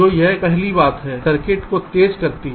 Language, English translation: Hindi, so this is the first thing: speeding up the circuit